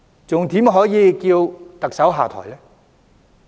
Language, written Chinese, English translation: Cantonese, 還怎能叫特首下台呢？, How can they still demand the Chief Executive to step down?